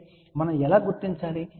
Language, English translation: Telugu, So, how do we locate